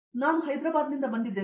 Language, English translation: Kannada, I am from Hyderabad